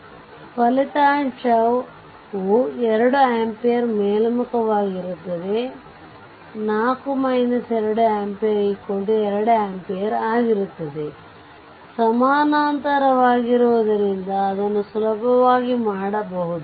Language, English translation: Kannada, So, resultant will be 2 ampere upward that is your 4 minus 2 ampere that is is equal to 2 ampere, it is upward right because this is 4 up, this is down